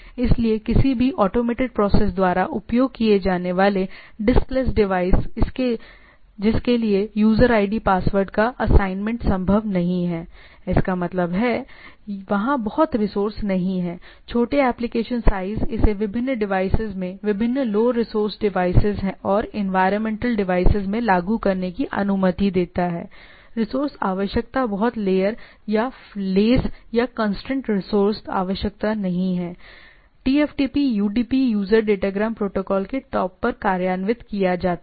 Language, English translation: Hindi, So, diskless devices used by any automated process for which the assignment of a user idea password is not feasible; that means, there are that is that much resource is not there, small application size allowing it to be implemented in various devices right, various low resource devices and in environmental resource there is resource requirement is not is much layer or lace or constrained resource requirement TFTP is implemented on the top of the UDP user datagram protocol